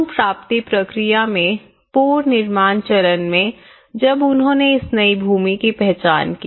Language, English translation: Hindi, In the recovery process, in the reconstruction stage when they identified this new land